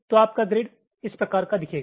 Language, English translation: Hindi, so i am splitting the grid like this